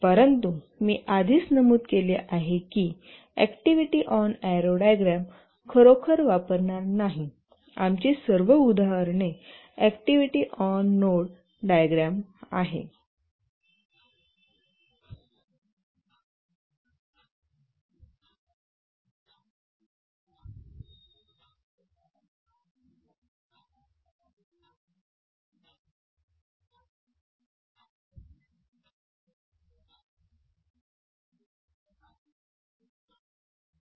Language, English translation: Marathi, But as I already mentioned that we will not really use activity on RO diagram, all our examples will restrict activity on node diagrams